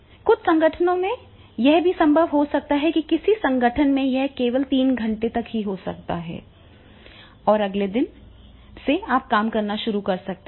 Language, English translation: Hindi, In some organization it goes up to three days and maybe in some organization up to the three hours only and after from the next day you start working on this work